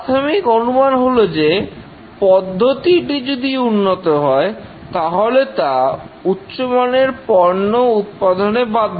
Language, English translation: Bengali, The basic assumption is that the process, if it is good, it is bound to produce quality products